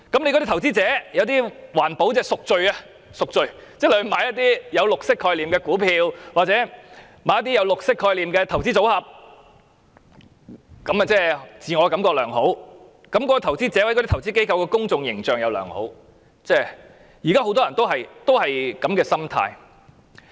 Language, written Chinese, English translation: Cantonese, 有些投資者是為了環保"贖罪"，即購買一些具綠色概念的股票或綠色概念的投資組合，令自我感覺良好，而那些投資者或投資機構的公眾形象也良好，現在很多人也有這樣的心態。, Some investors seek atonement with regard to environmental protection that means buying stocks or maintaining an investment portfolio with a green concept so that they will feel good about themselves . Such investors or investment institutions will also present a good image . Now many people hold such an attitude